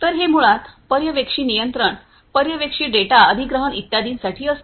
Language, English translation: Marathi, So, it is basically for supervisory control, supervisory data acquisition and so on